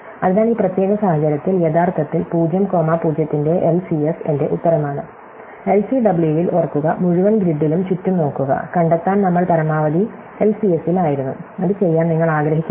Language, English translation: Malayalam, So, in this particular case actually LCS of 0 comma 0 is my answer, remember in LCW I had to look around the in the whole grid to find out, we are the maximum was in LCS, you do not want to do that